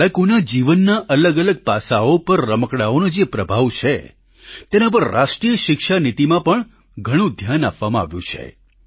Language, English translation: Gujarati, In the National Education Policy, a lot of attention has been given on the impact of toys on different aspects of children's lives